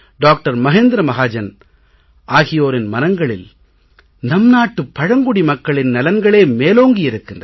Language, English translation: Tamil, Mahendra Mahajan, both with a keen desire to help our tribal population